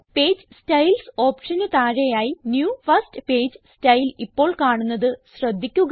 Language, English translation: Malayalam, Notice that new first page style appears under the Page Styles options